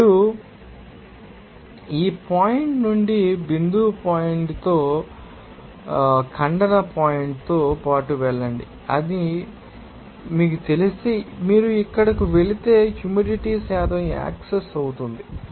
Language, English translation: Telugu, Now, you will see that if you know that go along with that line of dew point from that point here, intersection point and if you go to here the moisture content, you know to access and you will see that this will intersect at this point of 0